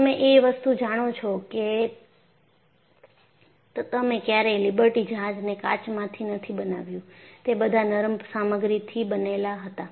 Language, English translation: Gujarati, You never made the Liberty ship out of glass; they were all made of ductile materials